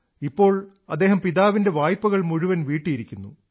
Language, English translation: Malayalam, He now has repaid all the debts of his father